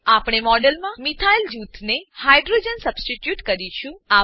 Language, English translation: Gujarati, We will substitute the hydrogen in the model with a methyl group